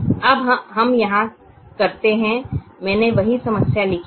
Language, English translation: Hindi, i have written this same problem